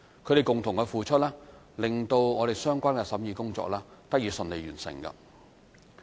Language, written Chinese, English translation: Cantonese, 他們的共同付出，令相關的審議工作得以順利完成。, Their concerted efforts enabled the smooth completion of the scrutiny of the Bill